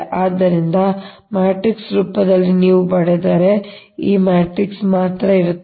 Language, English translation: Kannada, so thats why, in matrix form, if you write only this matrix will be there